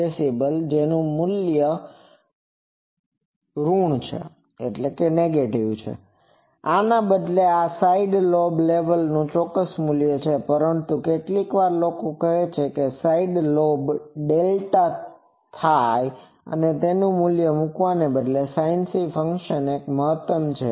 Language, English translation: Gujarati, Instead of this, this is an exact value of side lobe level, but sometimes approximately people say that side lobe delta theta is instead of putting this value, sometimes people say that numerator of sinc function is maximum